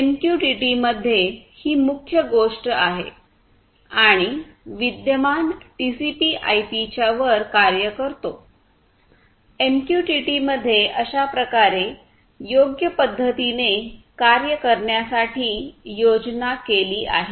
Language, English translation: Marathi, This is the key thing over here in MQTT and this works on top of the existing TCP/IP, the way MQTT has been designed to work right